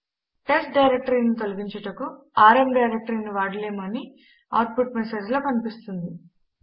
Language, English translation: Telugu, From the output message we can see that we can not use the rm directory to delete testdir